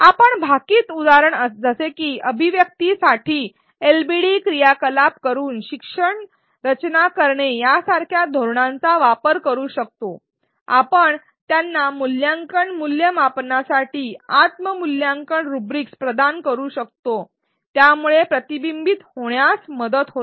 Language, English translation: Marathi, We can use strategies such as designing learning by doing or LbD activities for articulation such as in the prediction example, we can provide them self assessment rubrics for evaluation self assessment, this helps reflection